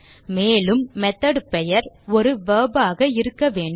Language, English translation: Tamil, Also the method name should be a verb